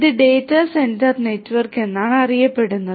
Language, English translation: Malayalam, And this is known as the data centre network